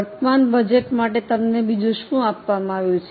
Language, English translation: Gujarati, What else is given to you for the current budget